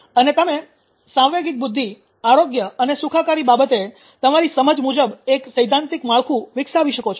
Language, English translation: Gujarati, And well you can develop a theoretical frame out ah of your understanding about emotional intelligence health and wellbeing